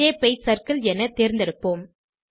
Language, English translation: Tamil, Lets select Shape as circle